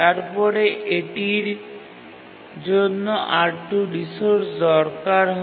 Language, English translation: Bengali, For example, T2 needs the resource R2